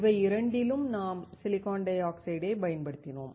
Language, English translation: Tamil, In both the cases, we have used the silicon dioxide